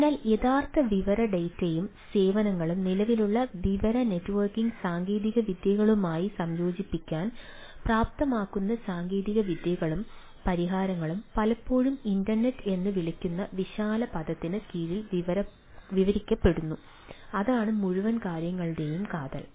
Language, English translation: Malayalam, so technologies and solutions that enable integration off real world data and services into current information networking technologies are often described under the umbrella term called internet of things, right at thats the ah core of the whole, ah whole thing